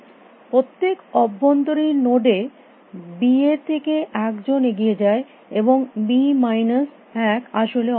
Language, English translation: Bengali, In every internal node one out of b goes head and the b minus one are eliminated is actually